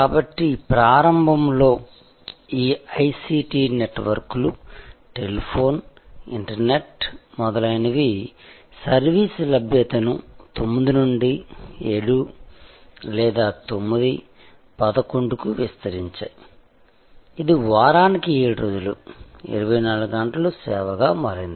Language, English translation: Telugu, So, initially all these ICT networks, telephone, internet, etc expanded the availability of service from 9 to 7 or 9, 11; it became 24 hour service, 7 days a week